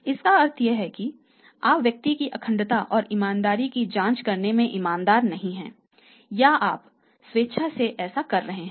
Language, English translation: Hindi, It means either you are not sincere in checking the integrity and honesty of the person or you are will fully doing it